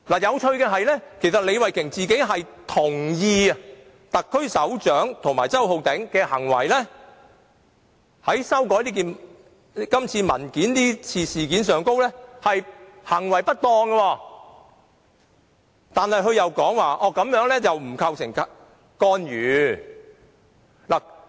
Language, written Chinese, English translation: Cantonese, 有趣的是，李慧琼議員本人亦同意特區首長及周浩鼎議員這次修改文件的行為不當，但她另一方面又說這做法並不構成干預。, It is interesting to note that while Ms Starry LEE also agrees that it is improper for the head of the SAR and Mr Holden CHOW to amend the document she does not think this constitutes an interference